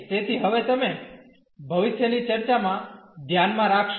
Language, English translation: Gujarati, So, that now you will keep in mind now in future discussion